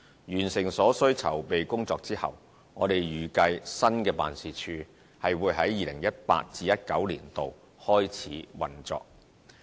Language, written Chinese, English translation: Cantonese, 完成所需籌備工作後，我們預計新辦事處會在 2018-2019 年度內開始運作。, Subject to the necessary preparation work required for setting up the office the additional new office is expected to commence operation within 2018 - 2019